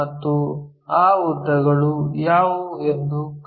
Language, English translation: Kannada, And, let us find what are that lengths